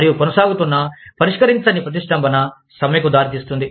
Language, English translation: Telugu, And, an ongoing unresolved impasse, can lead to a strike